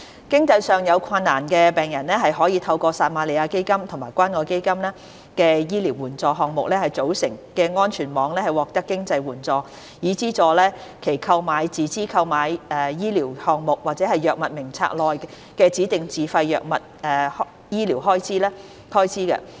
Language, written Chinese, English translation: Cantonese, 經濟上有困難的病人可透過由撒瑪利亞基金和關愛基金醫療援助項目組成的安全網獲得經濟援助，以資助其購買"自資購買醫療項目"或藥物名冊內的指定自費藥物的醫療開支。, Financial assistance is provided through the safety net which is composed of the Samaritan Fund and Community Care Fund Medical Assistance Programmes to subsidize the medical expenses of patients who have financial difficulties in purchasing Privately Purchased Medical Items and self - financed drugs listed on HAs Drug Formulary at their own costs